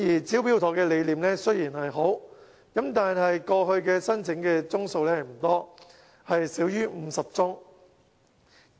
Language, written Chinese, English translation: Cantonese, "招標妥"的理念雖好，但過去申請宗數不多，少於50宗。, Despite the good idea the Smart Tender has been far from popular registering only less than 50 applications in the past